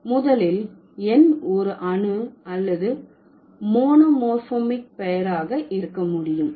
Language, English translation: Tamil, First, the number can have an atomic or monomorphic name